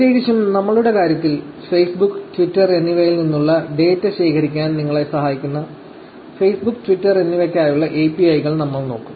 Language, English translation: Malayalam, Particularly, in our case, we will actually look at APIs for Facebook and Twitter, which will help you to collect data from Facebook and Twitter